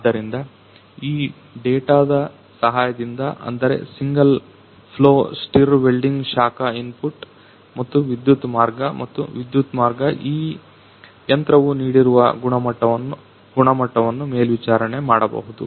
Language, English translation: Kannada, So, with the help of these data such as the single flow stir welding heat input and electric path and electric path this machine can monitor given a quality